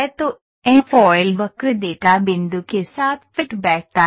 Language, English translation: Hindi, So, Airfoil curve fits with the data point